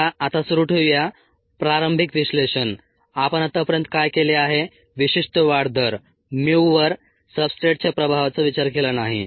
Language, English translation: Marathi, what we have done so far did not consider the effect of substrate on the specific growth rate, mu